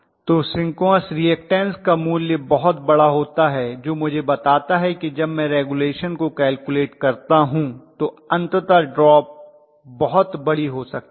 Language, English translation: Hindi, So you are going to have a very large value as synchronous reactance which tells me when I calculate regulation eventually the drop could be pretty large